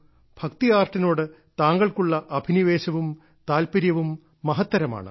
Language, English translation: Malayalam, Your passion and interest towards it is great